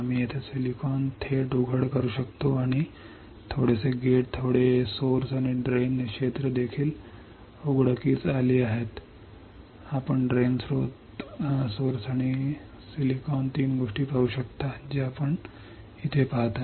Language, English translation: Marathi, We can have silicon directly exposed here right and little bit of gate little bit of source and drain areas are also exposed you can see drain source and silicon three things you can see right